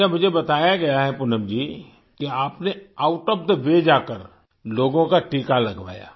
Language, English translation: Hindi, I've been told Poonam ji, that you went out of the way to get people vaccinated